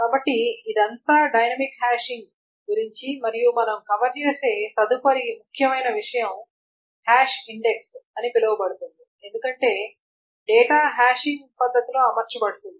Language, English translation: Telugu, So this is all about dynamic hashing and the next important thing that we will cover is called a, so this is all about this is a hash index because the data is arranged in a hashing manner